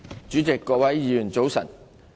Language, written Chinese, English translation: Cantonese, 主席、各位議員早晨。, Good Morning President and Honourable Members